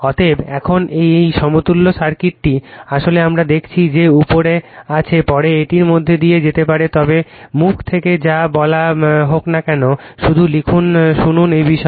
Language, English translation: Bengali, Therefore now this equivalent circuit actually we have seen we have seen that, right up is there later you can go through it, but whateverwhy told from my mouth just listen write up is there about this